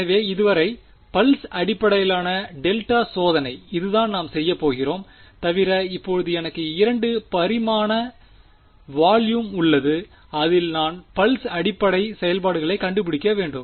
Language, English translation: Tamil, So, far which is pulse basis delta testing that is what we are going to do except that now I have a 2 dimensional volume in which I have to find out pulse basis functions